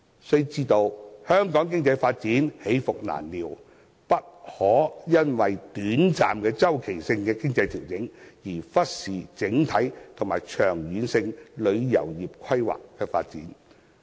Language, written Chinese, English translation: Cantonese, 須知道香港的經濟發展起伏難料，不可因為短暫周期性的經濟調整，便忽視整體及長遠性旅遊業的規劃和發展。, We should understand that there are often unexpected ups and downs in our economic development and we should not overlook the overall and long - term planning and development of the tourism industry only because of short - term cyclical economic adjustments